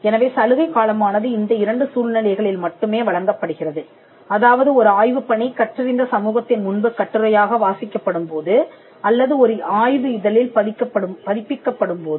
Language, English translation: Tamil, So, the grace period can be extended in only these two circumstances for research work that is presented before the learned society or that is published in a journal